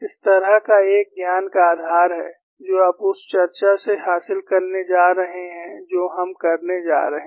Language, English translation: Hindi, This kind of a knowledge base, that is what we are going to gain, with the discussion that we are going to do